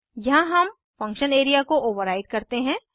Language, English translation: Hindi, Here we override the function area